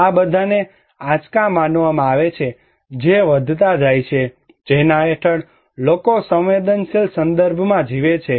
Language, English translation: Gujarati, These are all considered to be shocks that are increasing that under which people are living in a vulnerable context